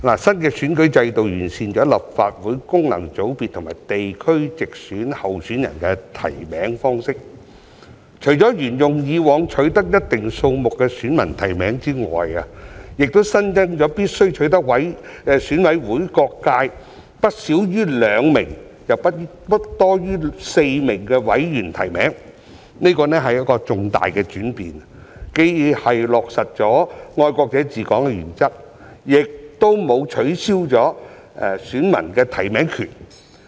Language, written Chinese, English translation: Cantonese, 新的選舉制度完善了立法會功能界別和地區直選候選人的提名方式，除了沿用以往取得一定數目的選民提名之外，亦新增了必須取得選委會每個界別不少於兩名、又不多於4名委員的提名，這是重大的轉變，既落實了"愛國者治港"的原則，亦沒有取消選民的提名權。, The new electoral system has improved the nomination method for candidates in the functional constituency and direct geographical constituency elections of the Legislative Council . Apart from adopting the past practice of obtaining a certain number of nominations from electors there is also a newly - added requirement that nominations have to be subscribed by no less than two but no more than four members from each sector of EC . While implementing the principle of patriots administering Hong Kong this major change also retains the electors right of making nominations